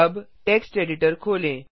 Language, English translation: Hindi, Now lets open the text editor